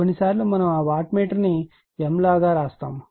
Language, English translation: Telugu, Sometimes we write that you your what you call wattmeter like m